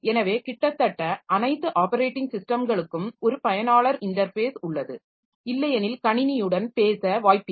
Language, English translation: Tamil, So, almost all operating systems have a user interface because otherwise there is no chance to talk to the system